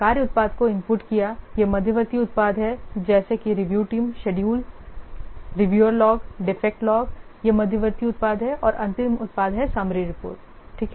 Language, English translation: Hindi, These are the intermediate products such are the review team and the this schedule and this reviewers log, the defect log, these are the intermediate products and the final product with the summary report